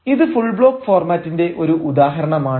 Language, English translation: Malayalam, the first is the full block format